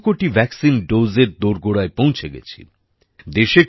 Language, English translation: Bengali, We have reached close to 200 crore vaccine doses